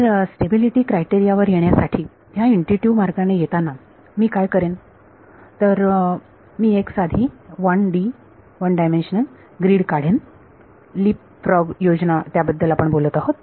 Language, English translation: Marathi, So, for doing this intuitive way of arriving at the stability criteria what I will do is I will draw a simple 1D grid right LeapFrog scheme is what we have been talking about